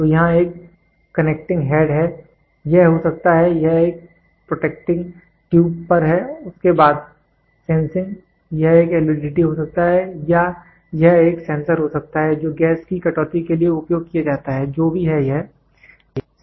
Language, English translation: Hindi, So, here is a connecting head this can be this is at a protecting tube then sensing this can be an LVDT or this can be a sensor which is used for deducting gas, whatever it is, right